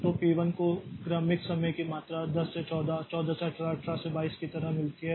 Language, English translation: Hindi, So, P1 gets successive time quantums, the 10 to 14, 14 to 18, 18 to 22 like that